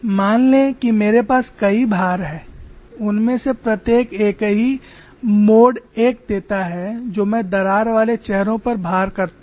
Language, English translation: Hindi, Suppose I have multiple loadings, each one of them gives the same mode one type of loading on the crack faces